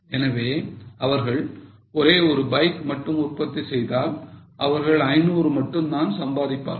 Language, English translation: Tamil, So if they just make one bike, they will only earn 500